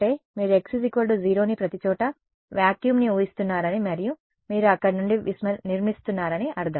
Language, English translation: Telugu, Yeah; so, if you choose x equal to 0 means you are assuming vacuum everywhere and you are building up from there